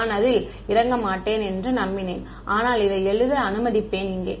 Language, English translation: Tamil, I was hoping to not get into it, but I will let us write this over here